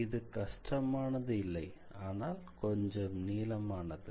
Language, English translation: Tamil, It is not complicated but it is a little bit lengthy